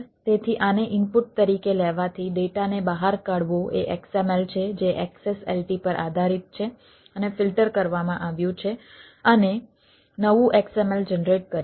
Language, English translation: Gujarati, so taking these as input, the data out is a xml ah, which is which is based on the xslt has been filtered for the and generated new xml